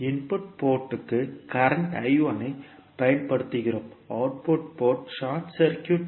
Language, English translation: Tamil, We are applying current I 1 to the input port and output port is short circuited